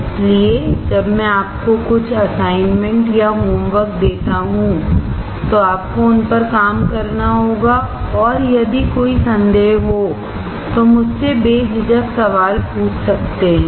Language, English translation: Hindi, So, when I give you some assignments or homework, you have to work on them and feel free to ask me questions if you have any doubts